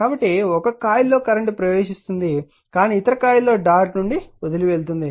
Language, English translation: Telugu, So, current entering in one coil, but other coil current leaves the dot